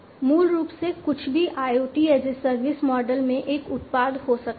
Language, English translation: Hindi, Basically, you know anything can be a product in the IoT as a service model